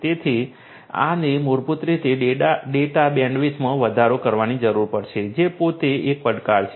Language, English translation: Gujarati, So, this basically will require an increase in the data bandwidth which is itself a challenge